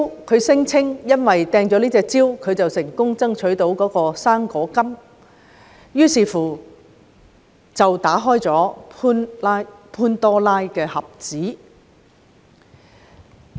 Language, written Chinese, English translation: Cantonese, 他聲稱因為自己擲出這隻蕉，所以成功爭取"生果金"，這樣便打開了潘朵拉的盒子。, He said that the hurling of the banana was the reason for his successful fight for the fruit grant . This was how the Pandoras box was opened